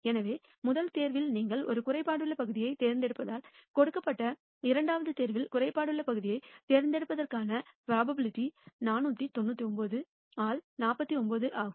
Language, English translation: Tamil, So, the probability of picking a defective part in the second pick given that you picked a defective part in the first pick is 49 by 999